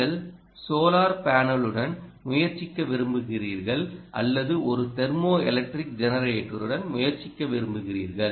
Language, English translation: Tamil, you want to try with the solar panel or you want to try with a thermo electric generator, for instance, temperature differentiates